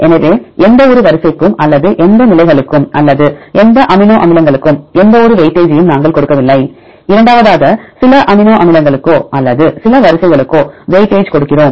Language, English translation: Tamil, So, we do not give any weightage to any sequence or any positions or any amino acids and the second one we give weightage to some amino acids or to some sequences